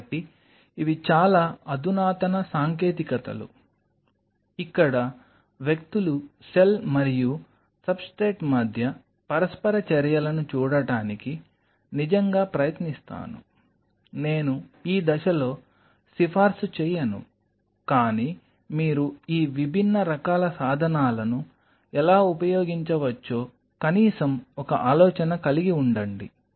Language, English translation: Telugu, So, these are very advanced techniques where people really try to see the interactions between the cell and the substrate I am not recommending at this stage, but at least have an idea how you can use these different kinds of tools